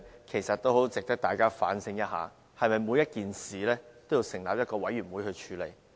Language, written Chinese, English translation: Cantonese, 其實大家應要思考是否每件事均須成立委員會來處理。, Actually we should consider if it is a must to set up commissions for dealing with each and every issue